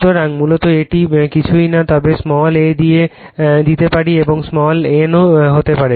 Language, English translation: Bengali, So, basically this is nothing, but your you can fix small a and you can small n also right